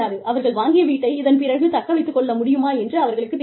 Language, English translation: Tamil, They do not know, whether, you know, they will be able to retain the house, that they have bought, for themselves